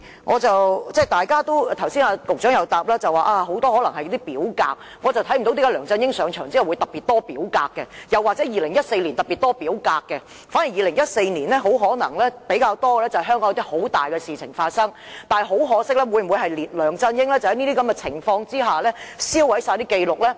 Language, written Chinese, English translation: Cantonese, 司長剛才答覆時說當中可能很多是表格，但我看不到為何梁振英上場後會特別多表格，又或是2014年特別多表格，反而在2014年比較多的可能是香港發生了一些十分重大的事情，而梁振英會否在這些情況下銷毀全部紀錄呢？, The Chief Secretary said in her earlier reply that many of these records are probably forms but I do not see why there would be particularly more forms after LEUNG Chun - ying assumed office or particularly more forms in 2014 . Instead what we saw more in 2014 might be incidents of great significance happening in Hong Kong and has LEUNG Chun - ying destroyed all the records under these circumstances?